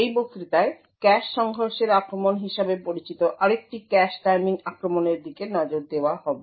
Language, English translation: Bengali, In this lecture will be looking at another cache timing attack known as cache collision attacks